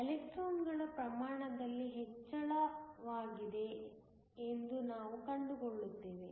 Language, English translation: Kannada, We would find that there is a increase in the amount of electrons